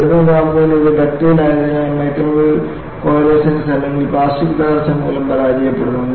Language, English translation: Malayalam, At high temperature it is ductile and fails by microvoid coalescence or plastic collapse